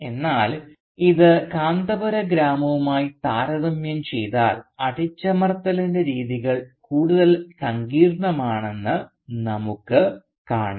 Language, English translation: Malayalam, But if you compare this with the village of Kanthapura there we see that the patterns of oppression are more complex